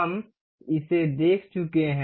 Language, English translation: Hindi, We have already seen